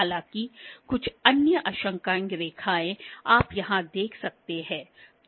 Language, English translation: Hindi, However, the certain other calibration lines that you can see here